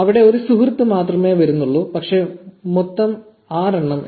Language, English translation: Malayalam, And there you go only one friend comes up, but notice that the total count says 6